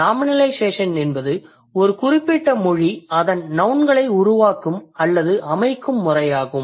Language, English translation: Tamil, So nominalization is the way by which a particular language creates or forms its nouns